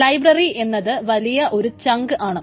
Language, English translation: Malayalam, The library is one big chunk